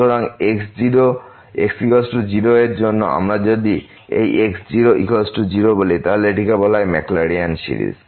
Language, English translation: Bengali, So, for is equal 0 if we said this is equal to 0, then this is called the maclaurins series